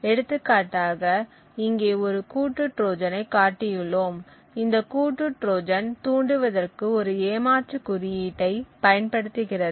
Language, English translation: Tamil, So, for example over here we have shown a combinational Trojan this combinational Trojan uses a cheat code to trigger